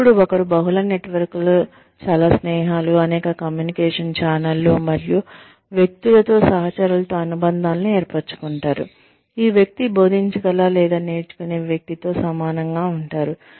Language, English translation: Telugu, Then, one develops, multiple networks, multiple many networks, many friendships, many channels of communication, and forms associations with peers, with people at the same level, as this person, who can teach or who one learns from, as one goes along